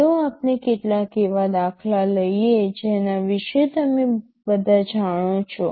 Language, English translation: Gujarati, Let us take some examples that you all know about